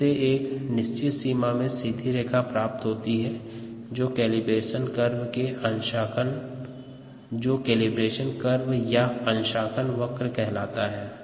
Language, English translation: Hindi, you would get a straight line in a certain range and that is the calibration curve